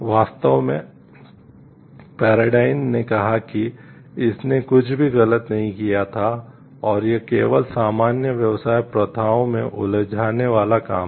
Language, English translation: Hindi, Indeed, Paradyne asserted that it had nothing done wrong and was work simply engaging in common business practices